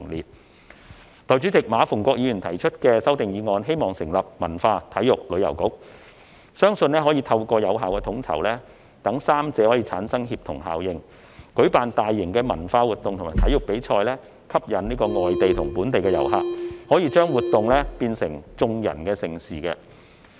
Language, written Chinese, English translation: Cantonese, 代理主席，馬逢國議員提出修正案，建議成立"文化、體育及旅遊局"，希望可以透過有效統籌，讓3個範疇產生協同效應，舉辦大型文化活動及體育比賽，吸引外地及本地遊客，把活動變成"眾人的盛事"。, Deputy President Mr MA Fung - kwok raised an amendment to propose the establishment of a Culture Sports and Tourism Bureau with the hope to let the three areas synergize through effective coordination for organizing large cultural activities and sports competitions to attract foreign and local visitors thus turning such activities and competitions into mega events for all